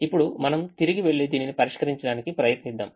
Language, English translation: Telugu, now let's go back and try to solve this